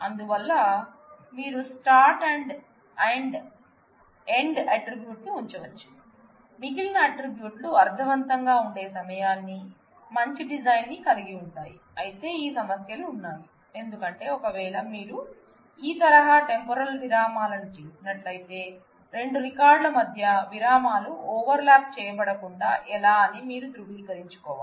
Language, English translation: Telugu, So, you can put a start and end attribute with which specifies what is the time for which the remaining attributes made sense, a good design, but these also have issues because, if you do this kind of temporal intervals, then how do you make sure that between 2 records the intervals are not overlapped